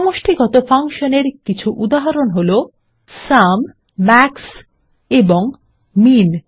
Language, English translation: Bengali, Some more examples of aggregate functions are SUM, MAX and MIN